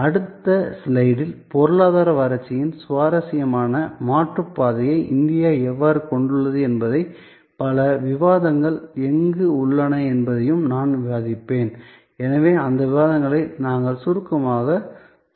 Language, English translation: Tamil, I will discuss that maybe in the next slide, that how India has an interesting alternate path of economy development and where there are number of debates, so we will briefly touch up on those debates